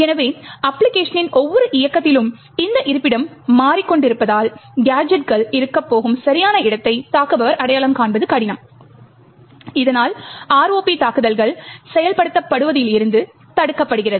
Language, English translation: Tamil, So, since this location are changing in every run of the application, it would be difficult for the attacker to identify the exact location where the gadgets are going to be present, thereby preventing the ROP attacks from executing